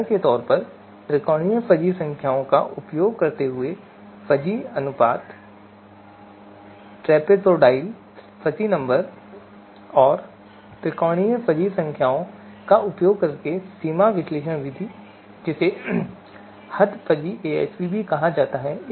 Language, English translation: Hindi, For example, fuzzy ratios using triangular fuzzy numbers, trapezoidal fuzzy numbers and the extent analysis method using triangular fuzzy numbers also referred as extent fuzzy AHP